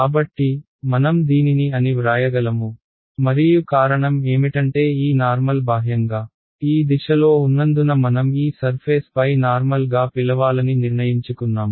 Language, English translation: Telugu, So, I can write this as ok, and only reason is because I had earlier decided to call the normal to this surface as this normal going outward is in this direction